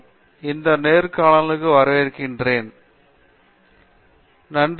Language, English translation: Tamil, So, welcome to this interview